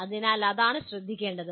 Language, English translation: Malayalam, So that is what should be noted